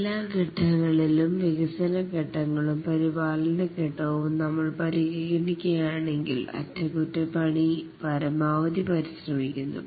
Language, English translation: Malayalam, Among all the phases, if we consider all the phases, the development phases and maintenance phase, then the maintenance phase consumes the maximum effort